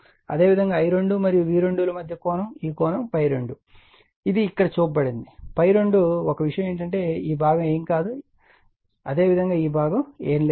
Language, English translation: Telugu, And similarly angle between I 2 and V 2 this angle is equal to phi 2 it is shown here it is phi 2, right only thing is that this this this portion is nothingthis portion is nothing but, similarly this portion is nothing, right